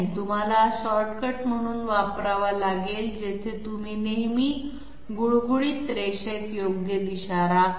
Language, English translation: Marathi, You have to use this as a shortcut where you always maintain the correct direction along in a smooth line